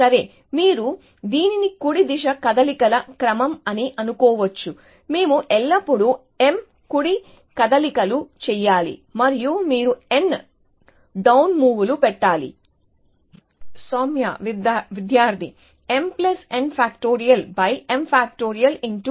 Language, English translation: Telugu, Well, you can think of this as a sequence of right moves, we have to always make m right moves and you have to put in n down moves, soumiya